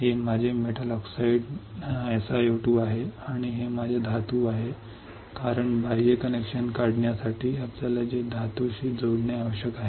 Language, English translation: Marathi, This is my metal oxide which is SiO2 and this is my metal because we need to connect it to metal to take out the external connection